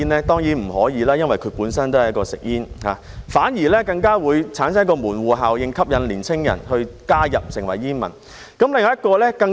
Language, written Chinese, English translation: Cantonese, 當然不可以，因為它們本身都是吸煙產品，反而更加會產生門戶效應，吸引年輕人加入成為煙民。, It certainly cannot because they are also smoking products by themselves . On the contrary they will create a gateway effect and attract young people to become smokers